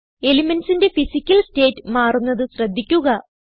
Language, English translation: Malayalam, Notice that elements change their Physical state